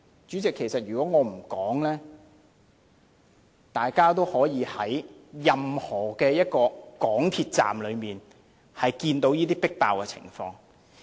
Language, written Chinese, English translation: Cantonese, 主席，如果我不說，大家都可以在任何一個港鐵站看到這種迫爆的情況。, President if I do not name it Members may have a difficult guess as this crowdedness can be seen in any one MTR Station